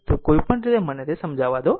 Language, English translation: Gujarati, So, anyway let me clear it